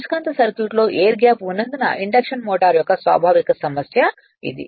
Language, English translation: Telugu, This is the inherent problem of the induction motor because of the presence of the air gap in the magnetic circuit right